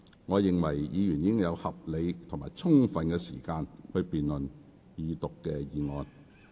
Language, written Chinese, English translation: Cantonese, 我認為議員已有合理及充分時間辯論二讀議案。, I think Members have had a reasonable amount of and ample time to debate the motion on Second Reading